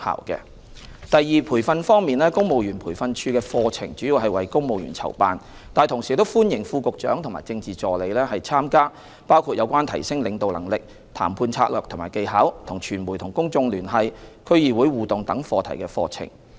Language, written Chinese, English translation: Cantonese, 二在培訓方面，公務員培訓處的課程主要為公務員籌辦，但同時歡迎副局長和政治助理參加包括有關提升領導能力、談判策略和技巧、與傳媒及公眾聯繫、區議會互動等課題的課程。, 2 On the front of training while courses of the Civil Service Training and Development Institute target primarily at civil servants Deputy Directors of Bureau and Political Assistants are also welcomed to attend courses relating to leadership enhancement negotiation strategies and skills media and public communication interaction with District Councils etc